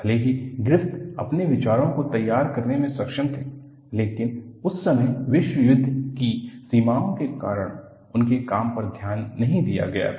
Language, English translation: Hindi, Even though, Griffith was able to formulate his ideas, his work was not noticed at that time due to the exigencies of the world war